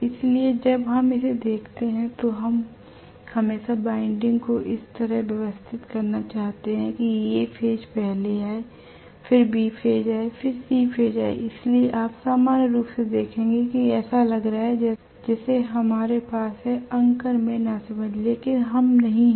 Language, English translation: Hindi, So when we look at it we want to always arrange the windings in such a way that A phase comes first, then comes the B phase, then comes C phase okay, so you would normally see that it looks as though we have kind of goofed up in the notation but we have not